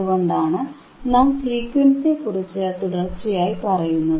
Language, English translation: Malayalam, That is why we talk about frequency, frequency, frequency